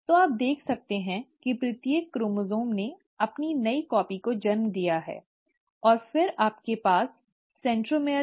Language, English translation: Hindi, So you can see that each chromosome had given rise to its new copy, and then you had the centromere